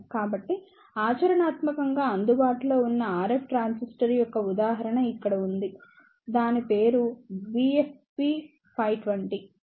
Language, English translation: Telugu, So, here is the example of the practically available RF transistor; its name is BFP520